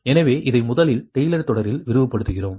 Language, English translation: Tamil, right, so you expand it in taylor series